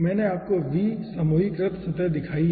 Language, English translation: Hindi, here i have shown you v grouped surface